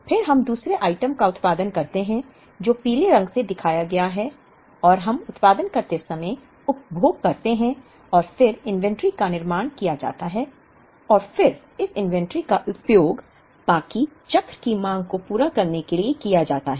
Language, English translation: Hindi, Then we produce the second item which is shown in yellow and we consume while we produce and then inventory is built up and then this inventory is used to meet the demand for the rest of the cycle